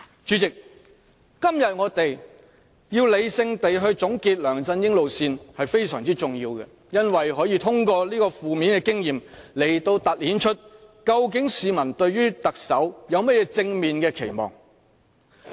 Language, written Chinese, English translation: Cantonese, 主席，我們今天要理性地總結梁振英路線，這是非常重要的，因為可以通過負面的經驗來凸顯市民對特首有甚麼正面的期望。, President let us sum up LEUNGs approach in a rational manner today . This is rather important because peoples positive expectations for the Chief Executive will be made clear by juxtaposing their negative experiences